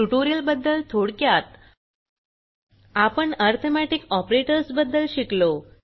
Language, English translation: Marathi, In this tutorial we learnt how to use the arithmetic operators